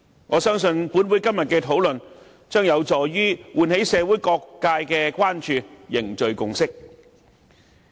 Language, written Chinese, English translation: Cantonese, 我相信立法會今天的討論將有助喚起社會各界的關注，凝聚共識。, I believe our discussion in the Legislative Council today will be conducive to arousing concerns from all sectors of society and forging consensus